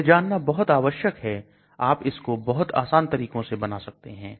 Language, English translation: Hindi, That is also very important you should be able to manufacture it in very simple steps